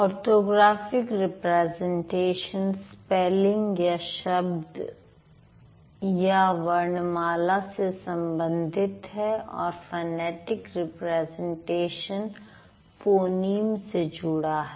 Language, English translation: Hindi, So, orthographic form or the orthographic representation deals with the spelling or the letters or the alphabet and the phonetic representation deals with phonyms